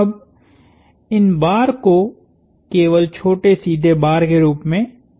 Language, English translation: Hindi, Now, these bars were shown as just little straight bars